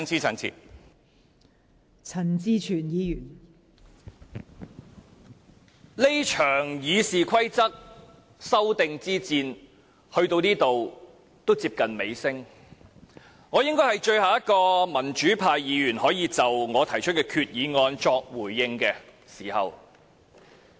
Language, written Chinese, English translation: Cantonese, 這場《議事規則》修訂之戰到此已經接近尾聲，我應該是最後一名可以就我提出的擬議決議案作回應的民主派議員。, As the battle on the amendment of the Rules of Procedure RoP is now coming to an end I should be the last pro - democracy Member being able to speak in response to my proposed resolution